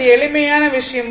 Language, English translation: Tamil, It is simple thing